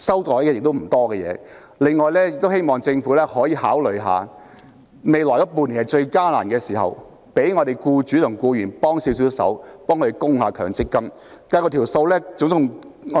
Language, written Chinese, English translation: Cantonese, 此外，我希望政府可以考慮在未來半年最艱難的時刻為僱主及僱員提供協助，代供強積金。, Furthermore I hope the Government can consider making MPF contributions for employers and employees so as to tide them over the most difficult period in the coming six months